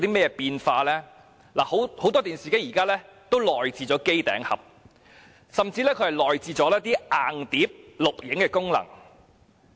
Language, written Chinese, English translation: Cantonese, 現時，很多電視機已內置機頂盒，甚至已內置硬碟錄影功能。, Many TVs currently have built - in set - top boxes and even built - in hard disk video recording functions